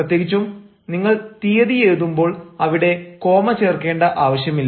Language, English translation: Malayalam, i mean, if you write the date, there is no need of putting any comma